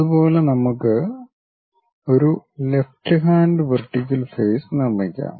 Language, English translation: Malayalam, Similarly, let us construct left hand vertical face